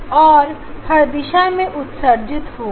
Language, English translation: Hindi, And this will be emitting all directions